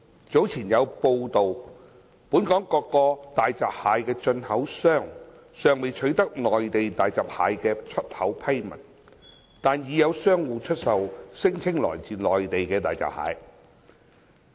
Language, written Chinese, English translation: Cantonese, 早前有報道，本港各個大閘蟹進口商尚未取得內地大閘蟹的出口批文，但已有商戶出售聲稱來自內地的大閘蟹。, It was reported earlier that while various hairy crab importers in Hong Kong had not yet obtained approval documents for exporting hairy crabs from the Mainland some traders were selling hairy crabs claimed to have been imported from the Mainland